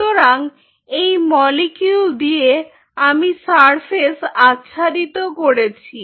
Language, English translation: Bengali, this is the molecule i have quoted, the surface